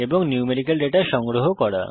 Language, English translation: Bengali, And How tostore numerical data